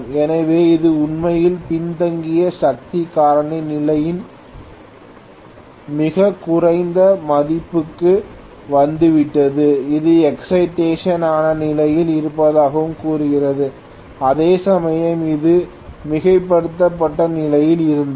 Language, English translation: Tamil, So, it has really come to a very very low value of lagging power factor condition, this tells that this is under excited condition whereas that was overexcited condition